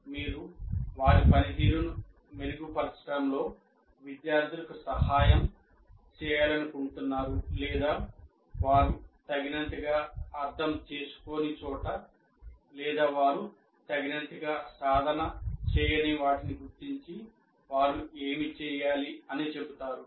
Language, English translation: Telugu, You would like to help the students in improving their performance or wherever point out where they have not adequately understood or where they have not adequately practiced, what is it they should do